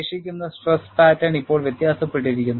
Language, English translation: Malayalam, And the residual stress pattern now differs